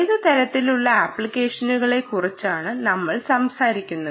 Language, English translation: Malayalam, and what kind of applications are we talking about